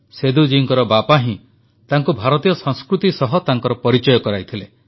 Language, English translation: Odia, Seduji's father had introduced him to Indian culture